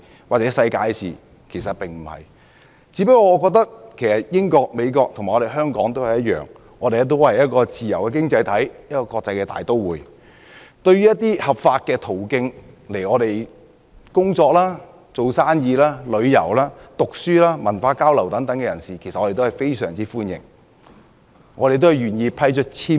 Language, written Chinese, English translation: Cantonese, 不是，我只是覺得英國、美國和香港都是自由經濟體系和國際大都會，對於循合法途徑來港工作、營商、旅遊、讀書、文化交流等人士表示歡迎，也願意向他們批出簽證。, I think the United Kingdom the United States and Hong Kong are free economies and international metropolises and they welcome people who enter the countries through legal channels for employment business tourism study and cultural exchanges etc and are willing to grant visas to those people